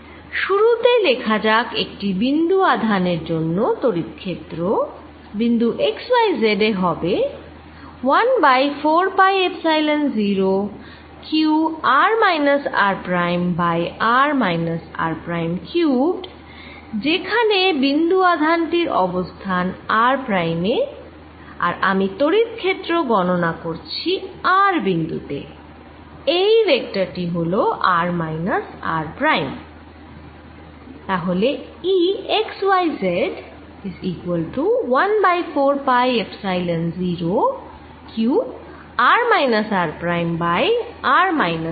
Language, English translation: Bengali, to start with, let us write: the electric field for a point charge which is at x y z will be given as one over four pi epsilon zero: q r minus r prime over r minus r prime cubed, where the position of the of the point charge is at r prime and i am calculating electric field at r, this vector being r minus r prime